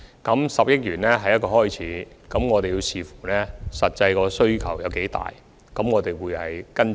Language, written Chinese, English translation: Cantonese, 這10億元只是一個開始，我們須視乎實際需求，才再作出跟進。, The 1 billion is only a start as we will take follow - up actions subject to the actual needs